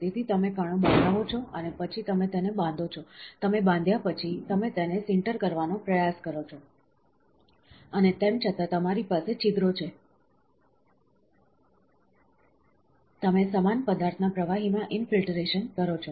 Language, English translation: Gujarati, So, you make particles and then you bind it, after you bind you try to sinter it, and still you have pores, you infiltrate a liquid of the same material